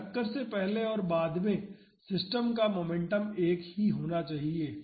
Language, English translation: Hindi, So, the momentum of the system before and after the impact should be same